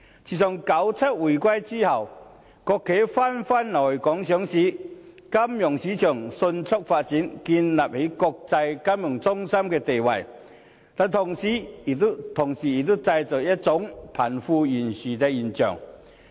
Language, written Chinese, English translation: Cantonese, 自九七回歸後，國企紛紛來港上市，金融市場迅速發展，建立起國際金融中心的地位，但同時亦製造出貧富懸殊的現象。, Since the reunification in 1997 state - owned enterprises have been coming to Hong Kong to go public thus leading to the rapid development of our financial markets and in turn helping us to establish our status as an international financial centre